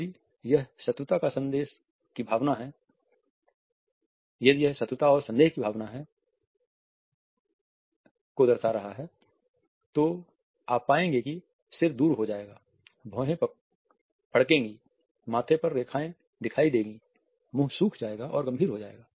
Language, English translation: Hindi, If it is the emotion of hostility and suspicion which is being passed on, you would find that the head would turn away, the eyebrows would furrow, lines would appear on the forehead, mouth will drupe and go critical